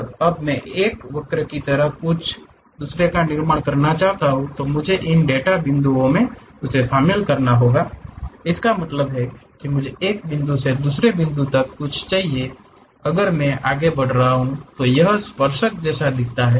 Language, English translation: Hindi, And, now, I would like to construct something like a curve I had to join these data points; that means, I need something like from one point to other point if I am moving how that tangent really looks like